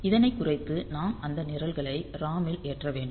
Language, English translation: Tamil, So, we can burn those programs to the ROM directly